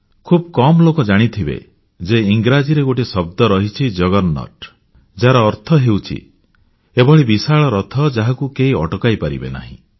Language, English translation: Odia, But few would know that in English, there is a word, 'juggernaut' which means, a magnificent chariot, that is unstoppable